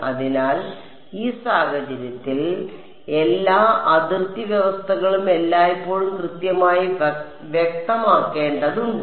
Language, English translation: Malayalam, So, we that the all the boundary conditions always need to be specified in this case right